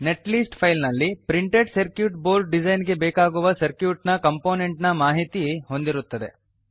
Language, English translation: Kannada, Netlist file contains information about components in the circuit required for printed circuit board design